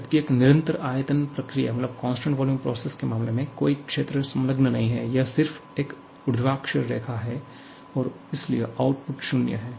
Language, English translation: Hindi, Whereas, in case of a constant volume process, there is no area enclosed, it is just a vertical line